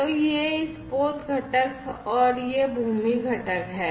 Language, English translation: Hindi, So, this is this vessel component and this is this land component